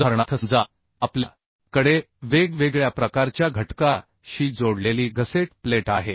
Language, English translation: Marathi, Say, for example, we have a gusset plate connected with different type of members